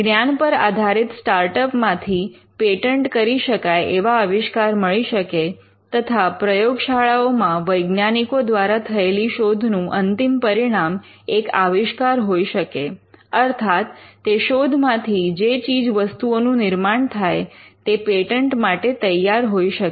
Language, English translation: Gujarati, You could find knowledge based startups coming out with inventions that are patentable, and research laboratories where scientists work on various discoveries could also be the end products not the discoveries themselves, but the products that manifest out of their discoveries could be patentable